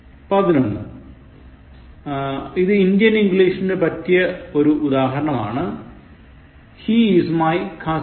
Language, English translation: Malayalam, 11, is a very typical interesting Indian English example, He is my cousin brother